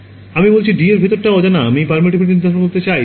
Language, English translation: Bengali, So, I am saying anything inside D is unknown I want to determine what is the permittivity